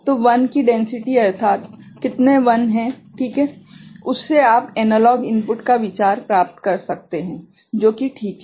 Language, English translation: Hindi, So, this density of 1s so, how many 1s are there ok, that from that you can get the idea of the analog input that is there ok